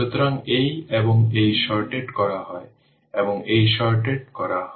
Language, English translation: Bengali, So, and this, this, this is shorted, and this is shorted